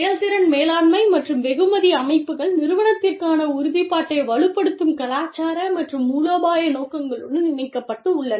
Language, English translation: Tamil, The performance management and reward systems, are linked with cultural and strategic objectives, that strengthen the commitment to the organization